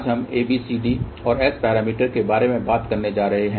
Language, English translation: Hindi, Today we are going to talk about ABCD and S parameters